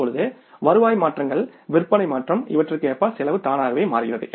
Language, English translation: Tamil, The moment the revenue changes, save change, cost automatically changes